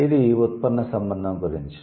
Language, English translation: Telugu, It's about derivational relationship